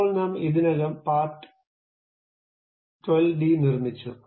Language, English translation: Malayalam, Now, I have already constructed part12d